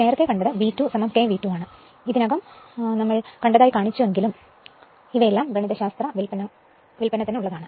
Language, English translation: Malayalam, Earlier we have seen is V 2 dash is equal to k V 2 we have already show seen it, but these are all for mathematical derivation right